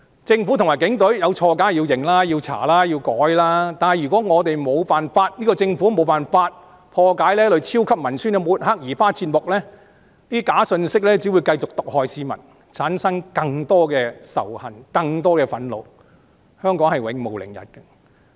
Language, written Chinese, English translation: Cantonese, 政府和警隊有錯的話，當然要認、要查、要改，但如果政府無法破解這類超級文宣的抹黑和移花接木，這些假信息只會繼續毒害市民，產生更多仇恨、更多憤怒，香港將永無寧日。, If the Government and the Police are wrong they definitely should admit their wrong be investigated and rectify their wrong . Yet if the Government cannot crack the smearing and alteration tactics used in the super propaganda such fake news will continue to corrupt the minds of the public and provoke intense hatred and growing anger . Hong Kong will never have peace